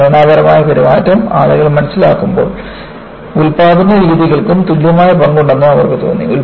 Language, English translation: Malayalam, And, as people understand the structural behavior, they also felt production methods play an equal goal